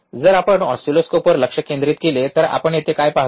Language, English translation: Marathi, So, we if you focus on oscilloscope what we see here